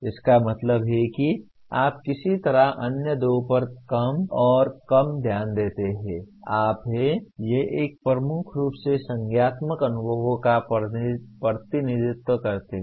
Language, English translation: Hindi, That means you somehow pay less and less attention to the other two but you are; these represent kind of a dominantly cognitive experiences